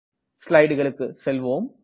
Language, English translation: Tamil, Let me go back to the slides